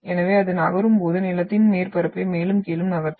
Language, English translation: Tamil, So it will move the land surface up and down when it is moving